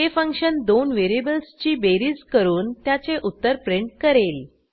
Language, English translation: Marathi, This function performs the addition of 2 variables and prints the answer